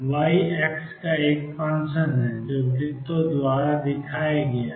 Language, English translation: Hindi, Y is a function of x is given by the circles